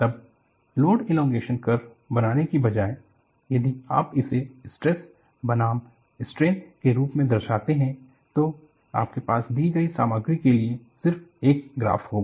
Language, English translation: Hindi, Then, instead of plotting as load elongation curve, if you plot it as stress versus strain, you will have just one graph for a given material